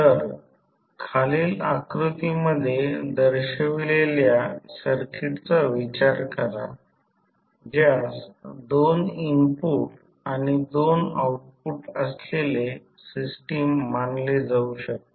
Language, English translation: Marathi, So, consider the circuit which is shown in the figure below, which may be regarded as a two input and two output system